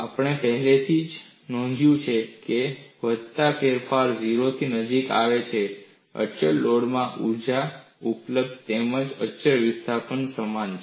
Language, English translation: Gujarati, We have already noted, as the incremental changes become closer to 0, the energy availability in constant load as well as constant displacement is identical